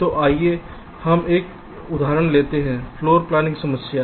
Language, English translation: Hindi, ok, so let's take one example: floor planning problem